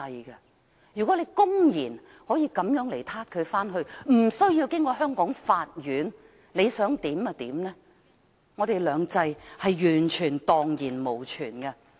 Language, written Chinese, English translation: Cantonese, 如果可以公然抓人回去，無須經過香港法院，為所欲為，我們的"兩制"便蕩然無存。, If the Mainland authorities can publicly arrest people in Hong Kong and repatriated them back to China without going through the Courts in Hong Kong and do whatever they want our two systems will become non - existent